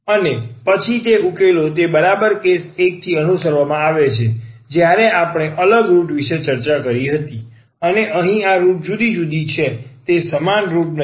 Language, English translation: Gujarati, And then the solution it is exactly followed from the case 1 when we discussed the distinct roots and here these roots are distincts they are not the same roots